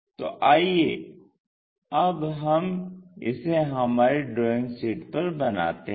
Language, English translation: Hindi, So, let us do that on our drawing sheet